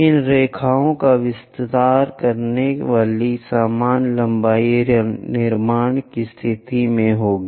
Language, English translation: Hindi, The same lengths extending these lines all the way down one will be in a position to construct